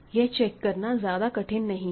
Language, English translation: Hindi, It is not difficult to check